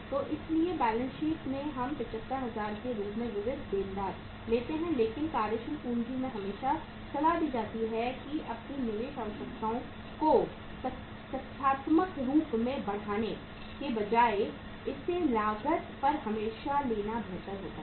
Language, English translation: Hindi, So that is why in the balance sheet we take sundry debtors as 75,000 but in the working capital statement it is always advisable that rather than inflating your investment requirements factitiously it is better always to take it on the cost